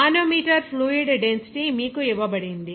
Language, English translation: Telugu, The manometer fluid density is given to you